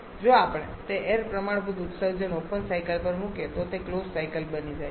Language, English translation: Gujarati, If we put those air standard emissions on the open cycle then that turns to be a closed cycle is not it